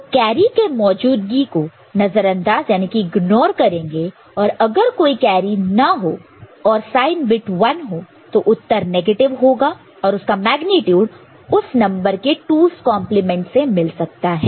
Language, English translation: Hindi, So, the presence of carry is ignored and if carry is not there and the sign bit is 1, then the answer is negative and its magnitude is obtained by 2’s complement of the number